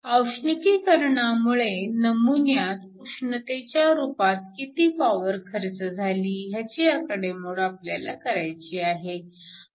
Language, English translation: Marathi, We want to calculate how much power is dissipated as heat in the sample due to thermalization